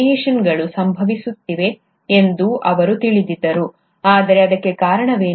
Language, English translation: Kannada, He knew that the changes are happening, but what is causing it